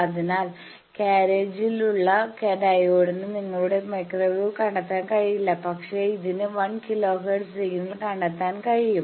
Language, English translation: Malayalam, So, which is on the carriage, the diode cannot detect your microwave, but it can detect a 1 kilo hertz signal